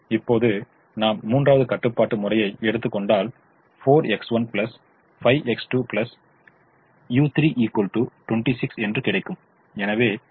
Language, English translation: Tamil, now, if i take the third constraint, four x one plus five x two plus u three, equal to twenty six